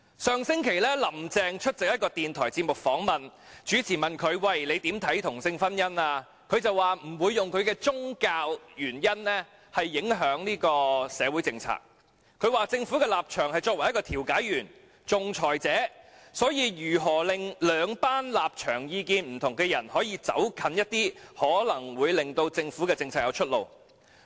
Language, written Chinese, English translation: Cantonese, 上星期，"林鄭"出席一個電台節目訪問，主持問她對同性婚姻的看法，她說她不會因宗教原因而影響社會政策，說："政府的立場是作為一個調解員、仲裁者，所以如果能令兩群立場意見不同的人可以走近一點，可能會令政府政策有出路。, Last week attending an interview of a radio programme Carrie LAM was asked by the host about her views on same sex marriage and she said she would not let her religious beliefs affect social policies . She said to this effect The position of the Government is to be a mediator and arbitrator . If it is possible to close the distance between two groups of people holding different opinions and positions there may be a way out for government policies